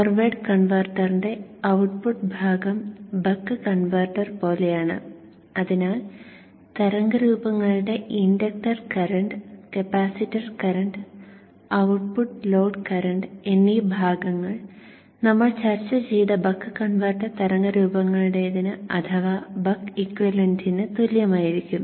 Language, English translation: Malayalam, The output portion of the forward converter is like the buck converter and therefore the inductor current, the capacitor current and the output load current parts of the waveforms will be exactly same as that of the buck equivalent buck converter waveforms that we discussed